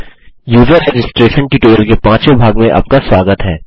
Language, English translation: Hindi, Welcome to the 5th part of the User registration tutorial